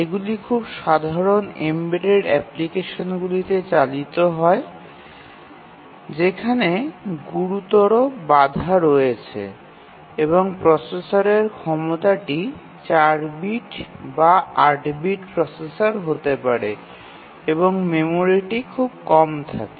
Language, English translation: Bengali, These are run on very simple embedded applications where there is a severe constraint on the processor capabilities, maybe a 4 bit or 8 bit processor and the memory is very, very less